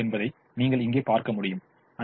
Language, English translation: Tamil, you see here that y one is equal to two, y one is equal to two